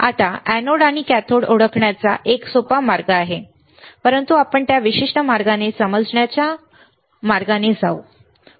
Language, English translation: Marathi, Now, there is an easier way of identifying anode, and cathode, but let us not go in that particular way of crude way of understanding